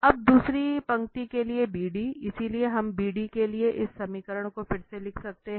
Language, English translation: Hindi, Now, for the second line this BD, so we can write down again this equation for BD